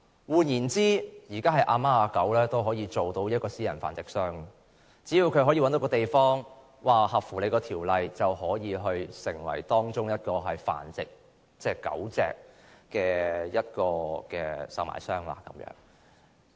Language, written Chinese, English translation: Cantonese, 換言之，現時任何人都可以成為私人繁殖商，只要合乎《修訂規例》，隨便找一個地方即可成為繁殖狗隻的售賣商。, In other words anyone can become a private breeder now . As long as they comply with the Amendment Regulation they can breed dogs for sale anywhere